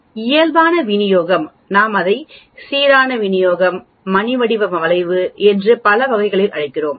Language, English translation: Tamil, Normal distribution we call it uniform distribution, bell shaped curve and so on actually